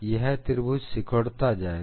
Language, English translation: Hindi, This triangle will keep on shrinking